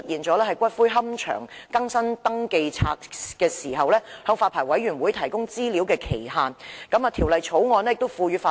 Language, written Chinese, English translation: Cantonese, 在龕場為更新登記冊而向發牌委員會提供資料的時限方面，亦有同樣的問題。, There is a similar problem regarding the time frame for the provision of information to the Licensing Board by a columbarium for updating its register